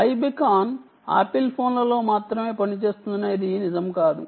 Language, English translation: Telugu, it isnt true that i beacon works only on apple phones